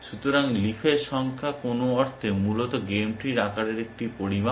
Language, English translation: Bengali, So, the number of leaves is in some sense a measure of, the size of the game tree essentially